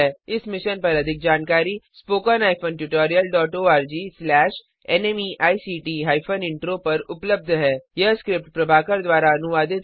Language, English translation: Hindi, More information on this Mission is available at spoken HYPHEN tutorial DOT org SLASH NMEICT HYPHEN Intro This tutorial has been contributed by TalentSprint